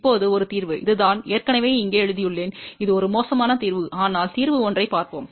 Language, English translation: Tamil, Now, one of the solution, this is I have already written here it is a bad solution, but let us see one of the solution